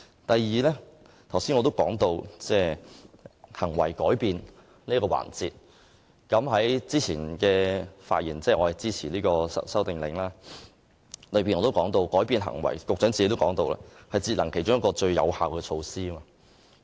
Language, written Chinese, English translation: Cantonese, 第二，我剛才提到行為改變這一點，我先前在支持這項《修訂令》時的發言也說過，而局長亦曾說過，改變行為是節能其中一項最有效的措施。, Secondly I have talked about behavioural change just now . During my earlier speech in support of the Amendment Order I have said―and so has the Secretary―that changing behaviour is one of the most effective energy - saving measures